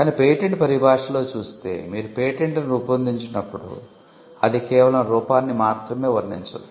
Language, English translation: Telugu, But in patent parlance when you draft a patent, you are not going to merely describe it is appearance